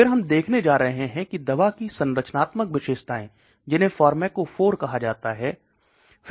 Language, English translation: Hindi, Then we are going to look at the structural features of the drug that is called pharmacophore